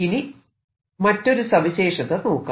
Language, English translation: Malayalam, let's take the other situation